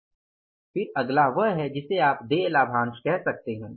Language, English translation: Hindi, Then is the next is you can call it as dividend payable